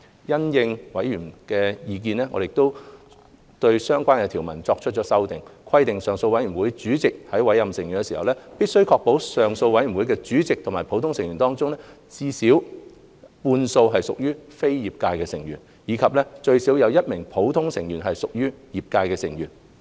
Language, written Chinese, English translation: Cantonese, 因應委員的意見，我們對相關條文作出了修訂，規定上訴委員團主席在委任成員時，必須確保上訴委員團主席及普通成員中最少半數屬非業界成員；以及最少1名普通成員屬業界成員。, In view of members opinions we have proposed to amend the relevant clause by providing that in appointing the members of the appeal board the chairperson of the appeal panel must ensure that the chairperson of the board and at least half of the ordinary members are non - trade members; and at least one of the ordinary members is a trade member